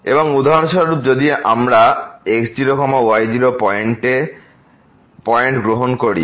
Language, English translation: Bengali, And for example, if we take at x naught y naught points